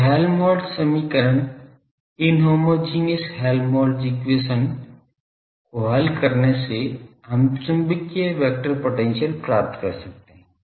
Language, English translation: Hindi, So, solving the Helmholtz equation inhomogeneous Helmholtz equation we could obtain the magnetic vector potential